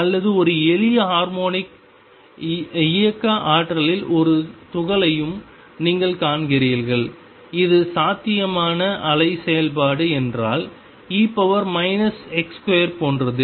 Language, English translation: Tamil, Or you also see a particle in a simple harmonic motion potential, where if this is the potential wave function is like e raise to minus x square